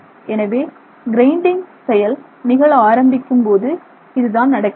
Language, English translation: Tamil, So, this is when the grinding action begins to happen